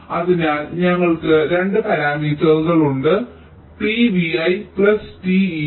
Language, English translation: Malayalam, so we have two parameters: t v i plus t e i